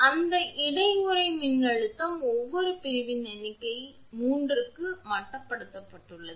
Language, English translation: Tamil, That inter sheath voltage is limited to that of each section figure 3